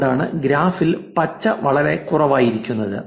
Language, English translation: Malayalam, That is why green is very low on the graph